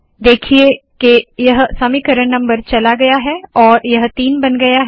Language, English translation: Hindi, See that this equation number is gone and this has become three